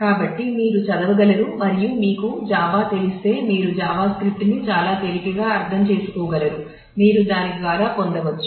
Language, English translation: Telugu, So, you can read through and you will be able to if you know Java you will be able to understand Java script very easily, you could get through that